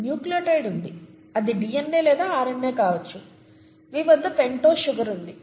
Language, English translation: Telugu, So you have a nucleotide which could be a DNA or a RNA, you have a pentose sugar